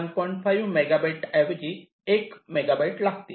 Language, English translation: Marathi, this requires one megabyte